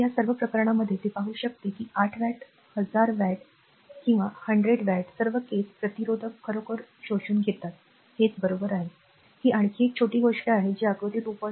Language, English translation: Marathi, So, in this so, all this cases, you can see it is 8 watt thousand watt or 100 watt all the cases resistor actually absorbing power, right this is, this is another small thing that figure 2